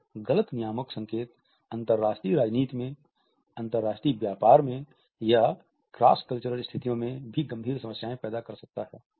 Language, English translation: Hindi, A misinterpreted regulatory signal in cross cultural situations, in international politics or in international business can lead to serious problems